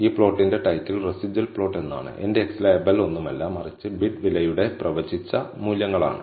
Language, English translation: Malayalam, The title for this plot is residual plot and my x label is nothing, but predicted values for bid price